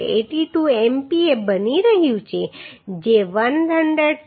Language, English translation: Gujarati, 82 MPa which is less than 131